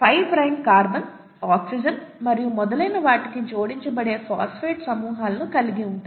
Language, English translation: Telugu, And to the 5 prime carbon, oxygen and so on, you have phosphate groups that gets attached